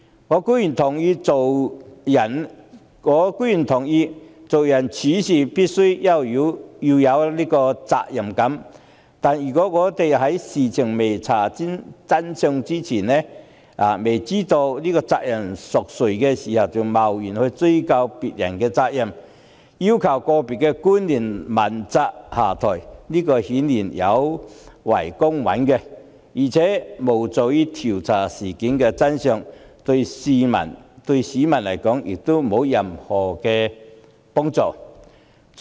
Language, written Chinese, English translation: Cantonese, 我固然認同做人處事必須有責任感，但如果在未查明事情真相、未知責任誰屬前就貿然追究別人的責任，要求個別官員問責下台，顯然有違公允，亦無助調查事件的真相，對市民也沒有任何幫助。, While I certainly believe a sense of responsibility is a must for everyone it is unfair and unhelpful to the investigation and the public to hold others accountable hastily and demand individual public officers to step down when the truth of the matter is not yet ascertained